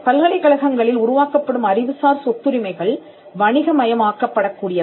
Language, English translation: Tamil, The intellectual property rights that are created in the universities could be commercialized